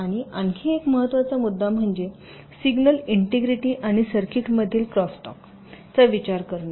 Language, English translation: Marathi, and another important issue is considering signal integrity and crosstalk in circuits